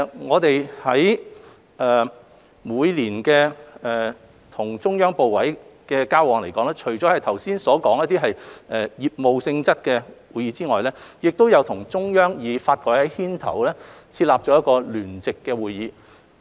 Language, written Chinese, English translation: Cantonese, 我們每年與中央部委的交流中，除剛才提及的業務性質的會議外，亦包括與中央發改委牽頭設立的一個聯席會議。, Our exchanges with the Central Authorities every year include also a joint conference led and set up by NDRC apart from those business meetings which I have just mentioned